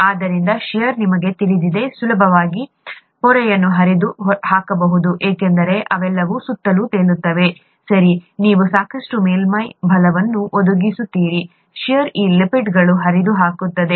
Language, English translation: Kannada, Therefore shear, you know, can easily, can quite easily tear the membrane apart because they are all floating around, okay, you provide enough surface force, the shear is going to tear apart these lipids